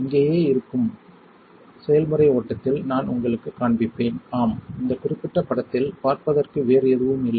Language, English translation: Tamil, I will show you in the process flow which is right over here and yeah that is nothing else to see on this particular image